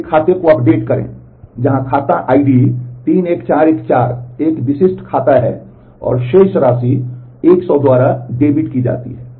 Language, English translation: Hindi, Update an account, where the account id is 31414 a specific account and balance is debited by 100